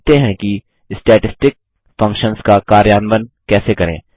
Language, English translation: Hindi, Now, lets learn how to implement Statistic Functions